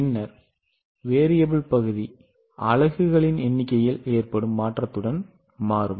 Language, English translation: Tamil, Then variable portion will change with change in number of units